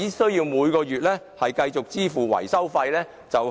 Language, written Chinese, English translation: Cantonese, 他們每月只須繼續支付維修費便可。, They only have to pay the monthly maintenance fee